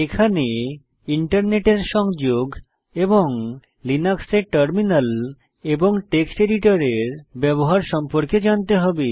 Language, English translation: Bengali, You must have knowledge of using Terminal and Text editor in Linux